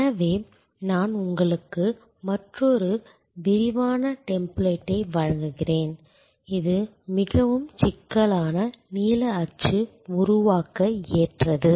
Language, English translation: Tamil, So, I provide you with another more detail template, which is suitable therefore, for developing a more complex blue print